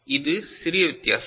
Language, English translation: Tamil, So, this is small difference